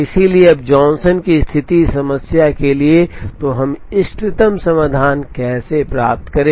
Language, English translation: Hindi, So, when the Johnson condition holds for this problem, how do we get the optimum solution